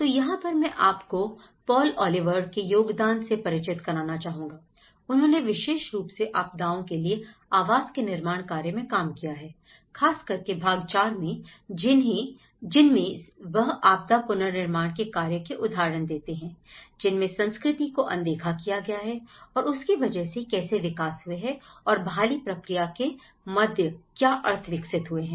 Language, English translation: Hindi, So, this is where, I would like to introduce you to the contribution of Paul Oliver's work on built to meet needs on especially the part IV on cultures, disasters and dwellings and he brings a number of cases along with it and how culture has been overlooked in the recovery process and as a result what kind of spaces are produced and as a response situation what kind of meanings have developed